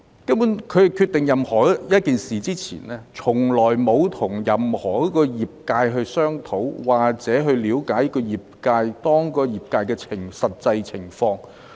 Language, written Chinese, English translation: Cantonese, 政府決定任何一件事前，從來沒有與任何一個業界商討，或嘗試了解業界的實際情況。, Before the Government decides on any matter it has never discussed with any industry or tried to understand the actual situation of the industry